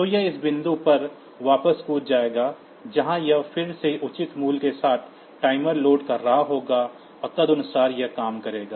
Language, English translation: Hindi, So, it will jump back to this point, where it will be again loading the timer with the appropriate value, and accordingly it will work